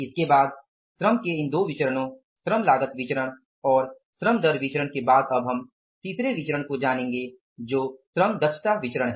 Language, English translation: Hindi, After this these two variances in the labor, labor cost variance and labor rate of pay variance, now we will go for the third variance that is the labor efficiency variance